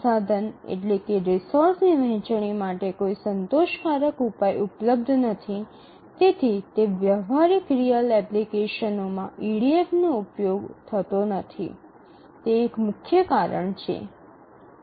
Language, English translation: Gujarati, We don't have a satisfactory solution to that and possibly that is one of the main reasons why EDF is not used in practical real applications